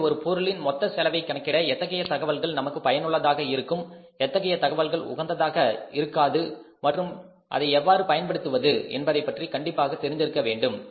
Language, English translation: Tamil, So, we should be aware about that to calculate the total cost of the product which information is useful for us, which information is relevant for us and how to make use of that